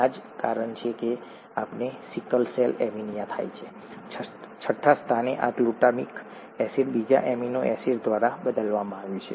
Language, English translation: Gujarati, ThatÕs the only reason why we get sickle cell anaemia; this glutamic acid at the sixth position has been replaced by another amino acid